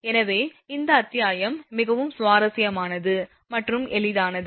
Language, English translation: Tamil, So, this chapter is very interesting and easy